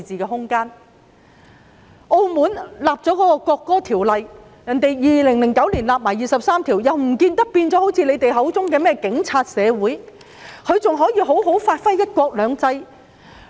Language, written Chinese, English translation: Cantonese, 澳門早已訂立國歌法例，並已在2009年為第二十三條立法，但卻不見得現已變成他們口中的"警察社會"，而是依然能夠好好地發揮"一國兩制"。, Macao has already enacted the national anthem law long ago and legislated for Article 23 in 2009 but there is no sign that it has become what they called the Polices society . Instead Macao has continued to bring into full play the principle of one country two systems